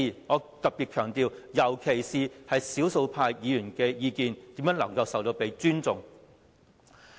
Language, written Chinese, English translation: Cantonese, 我特別強調尤其是少數派議員的意見如何被尊重呢？, I would particularly emphasize how the views of the minority Members can be respected